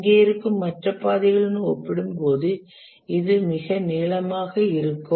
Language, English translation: Tamil, This will be the longest compared to the other paths that are present here